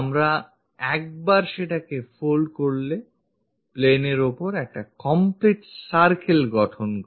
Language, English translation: Bengali, Once we fold that, it forms complete circle on the plane